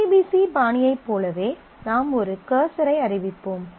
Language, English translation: Tamil, Similar to the ODBC style, you have a you will declare a cursor